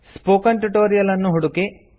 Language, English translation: Kannada, Search for spoken tutorial